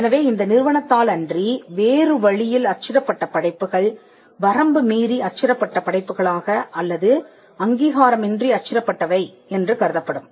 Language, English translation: Tamil, So, anything that was printed other than by this company would be regarded as an infringing work or that will be regarded as something that was done without authorisation